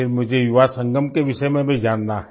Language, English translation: Hindi, Then I also want to know about the Yuva Sangam